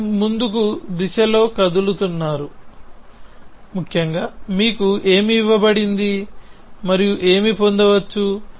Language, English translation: Telugu, So, you moving in the forward direction essentially what is given to you and what can be derived